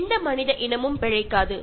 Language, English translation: Tamil, No species of human beings will survive